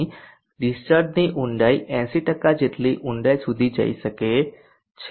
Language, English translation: Gujarati, Here the depth of the discharge can go deep as 80%